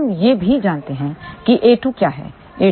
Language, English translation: Hindi, We also know what is a 2